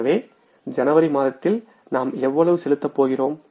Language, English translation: Tamil, This we are going to pay in the month of January